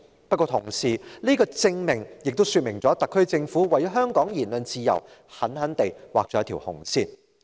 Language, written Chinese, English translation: Cantonese, 不過，這個證明同時說明特區政府為香港的言論自由，狠狠地劃下一條"紅線"。, Yet this also proves that the SAR Government has violently set a red line for the freedom of speech in Hong Kong